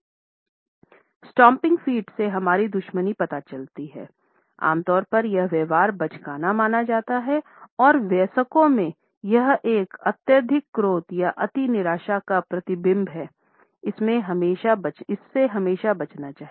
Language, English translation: Hindi, A stomping feet suggests our hostility normally it is considered to be a childish behaviour and in adults; it is a reflection of an extreme anger or an extreme disappointment which should always be avoided